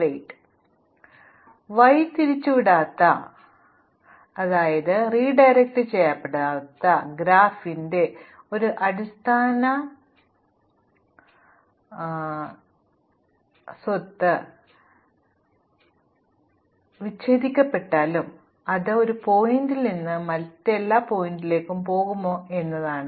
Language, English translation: Malayalam, So, one fundamental property of an undirected graph is whether or not it is connected, can we go from every vertex to every other vertex